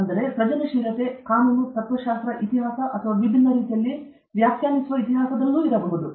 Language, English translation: Kannada, So, creativity can be in law, philosophy, history or interpreting history in a different way